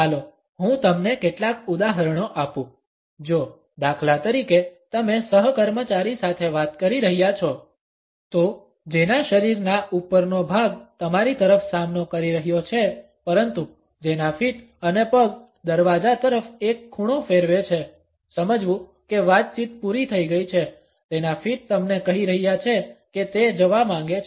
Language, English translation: Gujarati, Let me give you a couple of examples; if for instance you are talking to a co worker; whose upper body is faced toward you, but whose feet and legs have turned an angle toward the door; realize that conversation is over her feet are telling you she wants to leave